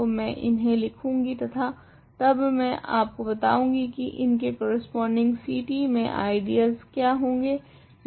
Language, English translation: Hindi, So, I will write down these and then I will tell you how to what are the corresponding ideals in C t